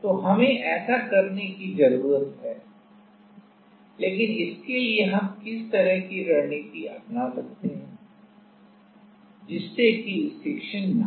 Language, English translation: Hindi, So, we need to do that, but how what kind of strategy we can take so, that the stiction will not happen